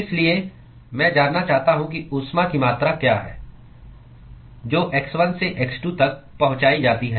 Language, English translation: Hindi, So I want to know what is the amount of heat, that is transported from x1 to x2